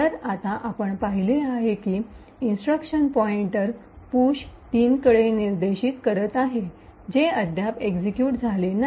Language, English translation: Marathi, So, now we have seen that there is the instruction pointer pointing to this location push 03 which has not yet been executed